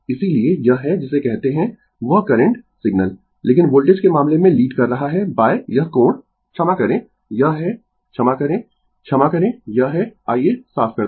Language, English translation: Hindi, Therefore, this is the your what you call that current signal, but in the case of voltage is leading by this angle phi ah sorry, this is ah sorry, sorry this this is ah let me clear it